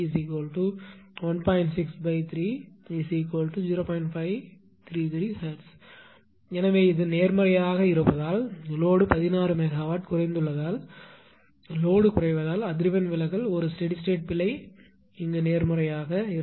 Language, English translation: Tamil, So, this is that because it is positive because the load load has ah decreased 16 megawatt decrease because of load decrease the frequency deviation will be a steady state error will be positive